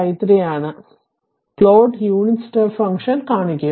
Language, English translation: Malayalam, So, this is the the plot how you will show the unit step step function right